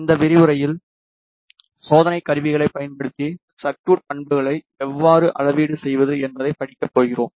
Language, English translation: Tamil, In this lecture we are going to study how to measure the circuit characteristics using test instruments